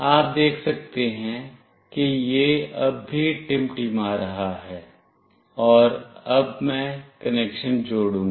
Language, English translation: Hindi, Itis still blinking you can see that, and now I will do the connection